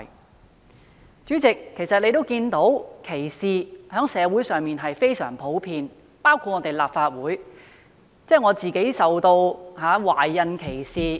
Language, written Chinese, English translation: Cantonese, 代理主席，現時在香港，歧視情況非常普遍，我在立法會也曾受到懷孕歧視。, Deputy President discrimination is now very common in Hong Kong . I was also discriminated against in the Legislative Council when I was pregnant